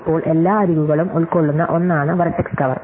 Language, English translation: Malayalam, So, now, vertex cover is something that covers all the edges